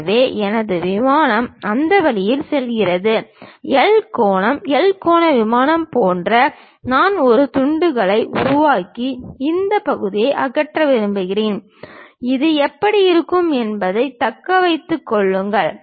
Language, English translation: Tamil, So, my plane actually goes in that way; like a L angle, L angle plane I would like to really make a slice and remove this part, retain this how it looks like